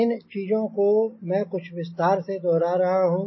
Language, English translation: Hindi, i am repeating those things with more little, more detail